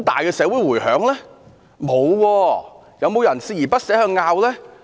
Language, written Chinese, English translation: Cantonese, 有沒有人鍥而不捨地爭拗？, Was anybody persistently debating over the case?